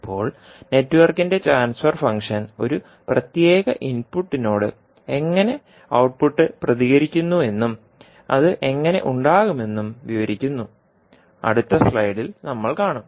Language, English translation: Malayalam, Now, the transfer function of the network describes how the output behaves with respect to a particular input, and how it will have, we will see in the next slide